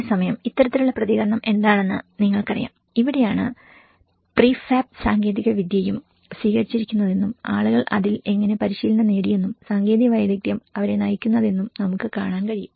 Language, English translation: Malayalam, And at the same time, you know what is the kind of response and this is where we can see the prefab technology also have been adopted and how people have been trained in it and the technical expertise have been guiding them